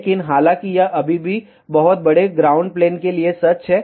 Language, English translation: Hindi, But, however that is still true for very very large ground plane